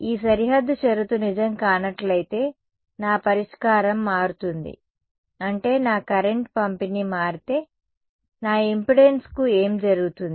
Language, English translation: Telugu, If this boundary condition is not true, my solution changes right my; that means, my current distribution changes if the my current distribution changes what happens to my impedance